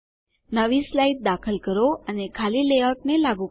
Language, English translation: Gujarati, Insert a new slide and apply a blank layout